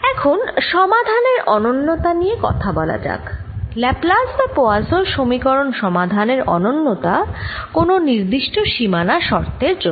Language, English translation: Bengali, now let's go to uniqueness of solution, uniqueness of solution of laplace's or poison's equation for a given boundary condition